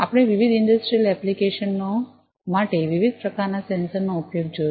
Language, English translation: Gujarati, We have gone through the use of different types of sensors, for different industrial applications